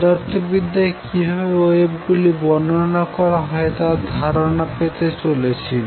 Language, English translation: Bengali, But what I want to do in this lecture is give you an idea as to how waves are described in physics